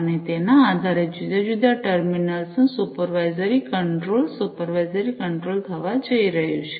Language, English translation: Gujarati, And based on that supervisory control of the different terminals are going to be supervisory control, is going to be performed